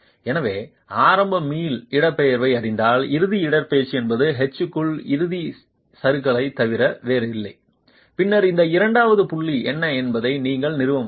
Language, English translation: Tamil, So knowing the initial elastic displacement, the ultimate displacement is nothing but drift, ultimate drift into H and then you will be able to establish what this second point is